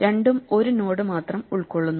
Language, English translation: Malayalam, Both of them consist of a single node